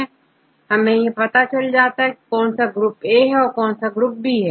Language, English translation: Hindi, This group A for example, this is group B